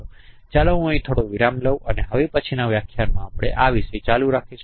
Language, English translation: Gujarati, So let me take a break here and we will continue this topic in the next lecture